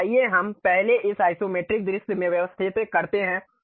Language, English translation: Hindi, So, let us first arrange it to Isometric view